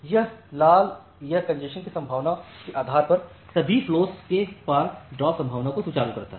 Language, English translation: Hindi, So, this RED it smooths out the drop probability across all the flows depending on the congestion probability